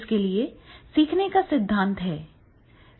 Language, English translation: Hindi, The learning theories are there